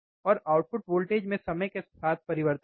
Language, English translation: Hindi, And the change in output voltage is with respect to time